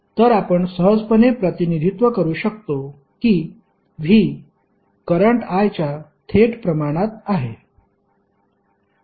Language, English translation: Marathi, So, you can simply represent that V is directly proportional to current I